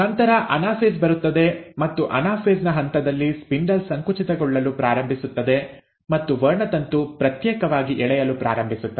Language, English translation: Kannada, Then comes the anaphase and at the stage of anaphase, the spindle starts contracting and the chromosome starts getting pulled apart